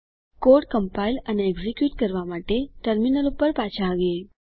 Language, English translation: Gujarati, Coming back to the terminal to compile and execute the code